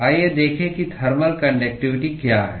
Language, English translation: Hindi, Let us look at what is thermal conductivity